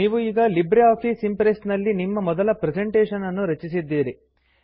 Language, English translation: Kannada, You have now created your first presentation in LibreOffice Impress